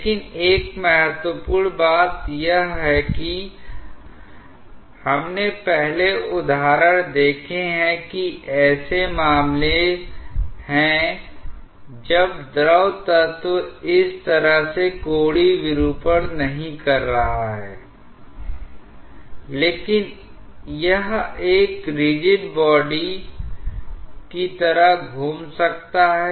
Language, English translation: Hindi, But one important thing is we have seen examples earlier that there are cases when the fluid element is not having angular deformation as such like this, but it may be rotating like a rigid body